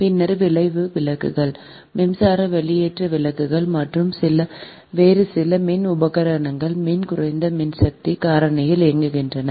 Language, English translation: Tamil, then arc lamps, electric discharge lamps and some other electric equipments operate at very low power factor right